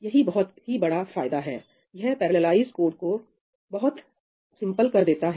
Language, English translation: Hindi, That makes parallelizing codes very very simple